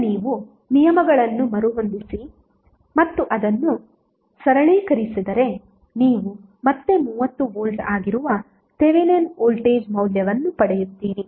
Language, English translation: Kannada, Now if you rearrange the terms and simplify it you will again get the value of Thevenin voltage that is 30V